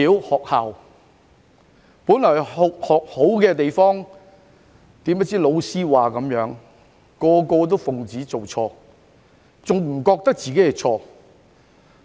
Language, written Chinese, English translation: Cantonese, 學校本來是學好的地方，誰不知老師一說學生便通通奉旨做錯，甚至不認為自己有錯。, Originally the school is where students learn to be good . Who would have thought that the students listened to whatever their teacher said and followed their wrongdoings? . Worse still they did not admit their mistakes